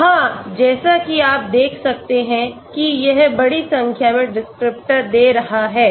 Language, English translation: Hindi, Yeah, as you can see that is giving large number of descriptors